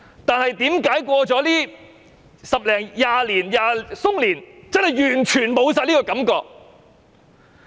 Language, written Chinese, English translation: Cantonese, 但是，為何經過十多二十年後，我們已完全沒有這種感覺？, How come this feeling has completely vanished after a decade or two?